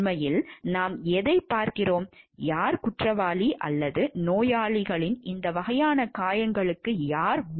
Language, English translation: Tamil, Actually what we see like and who is guilty or who cannot be whole held responsible for these type of injuries to the patient